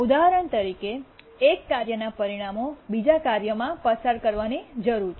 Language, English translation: Gujarati, For example, the results of one task needs to be passed on to another task